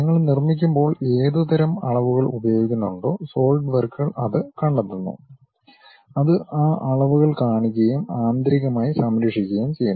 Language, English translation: Malayalam, Solidworks detects what kind of dimensions, when you are constructing it shows those dimensions and saves internally